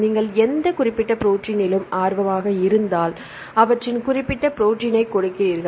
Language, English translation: Tamil, Then if you are interested in any specific protein then you give their particular protein